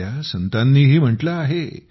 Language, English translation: Marathi, Our saints too have remarked